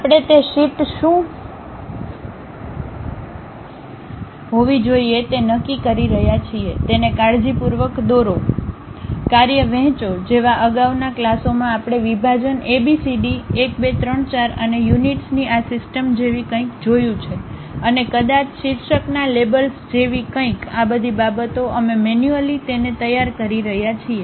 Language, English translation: Gujarati, We are the ones deciding what should be that sheet, draw it carefully, divide the task like in the earlier classes we have seen something like division a, b, c, d, 1, 2, 3, 4 and this system of units, and perhaps something like titles labels, all these things we are manually preparing it